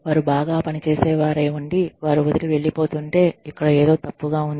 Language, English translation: Telugu, If they are high performers, and they still go, then something is wrong, over here